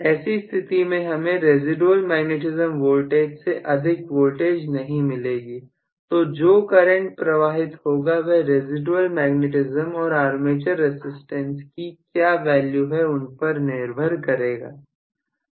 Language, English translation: Hindi, I am not going to get anything more than the residual magnetism voltage, so the current I get depends now upon what is residual magnetism and what is the value of armature resistance